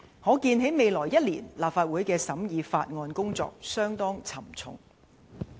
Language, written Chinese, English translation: Cantonese, 可見在未來一年，立法會審議法案的工作相當沉重。, It is foreseeable that the scrutiny of bills by the Legislative Council in the coming year will be very onerous